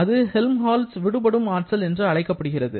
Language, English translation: Tamil, Now, what was your definition for Helmholtz energy